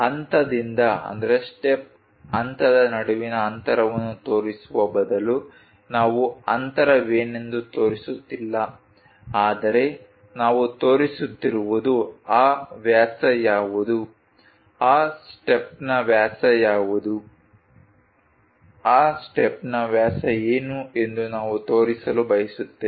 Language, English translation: Kannada, Instead of showing the gap between step to step, what is that gap we are not showing, but what we are showing is what is that diameter, what is the diameter for that step, what is the diameter for that step we would like to show